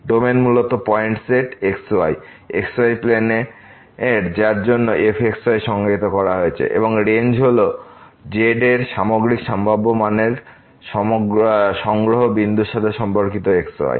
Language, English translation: Bengali, Domain is basically the set of points the x y plane for which is defined and the Range, Range is the collection of overall possible values of corresponding to the point